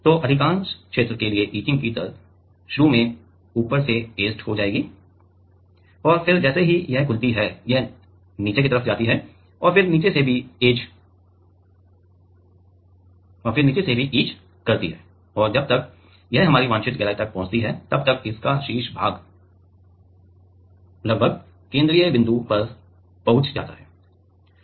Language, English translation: Hindi, So, the etching rate for the most region will get etched from the top initially and then as it is opens up slowly it goes down and then it etches from the bottom also and by the time it reaches our desired depth the top portion it has almost reached the central point